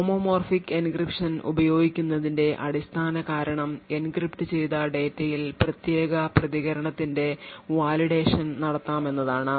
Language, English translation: Malayalam, Now the basic property of using homomorphic encryption is the fact that the validation of the particular response can be done on encrypted data